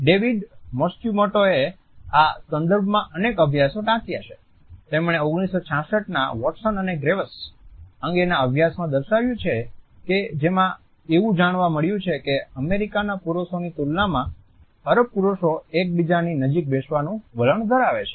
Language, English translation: Gujarati, David Matsumoto has quoted several studies in this context, he has quoted a 1966 study over Watson and graves in which it was found that Arab males tend to sit closer to each other in comparison to American males